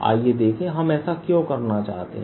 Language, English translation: Hindi, let's see why do we want to do that